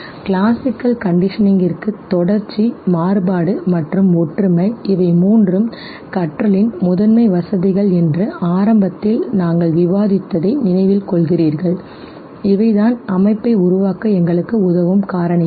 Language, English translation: Tamil, For classical conditioning okay, you remember we discussed initially that contiguity, contrast, and similarity, these are the three primary facilitators of learning, this is these are the factors which know helps us form association